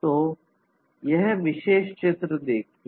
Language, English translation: Hindi, So, look at this particular picture